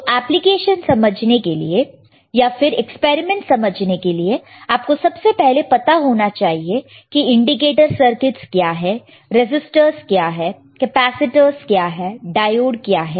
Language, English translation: Hindi, So, for understanding the applications for understanding the experiments, we should first know what are the indicator circuits, what are the resistors, what are capacitors, right